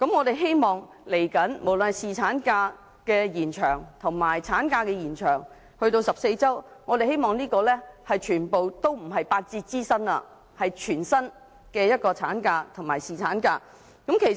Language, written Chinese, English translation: Cantonese, 未來無論是延長侍產假還是延長產假至14周，我們希望都不是八折支薪，而是全薪的產假及侍產假。, Be it extending paternity leave or extending maternity leave to 14 weeks we hope they will all come with full pay instead of 80 % pay . The current - term Government has given the business sector a huge relief in terms of profits tax